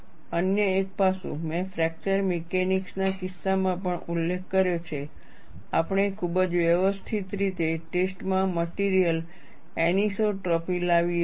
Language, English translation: Gujarati, Another aspect, I have also been mentioning in the case of fracture mechanics, we bring in the material anisotropy in the testing in a very systematic fashion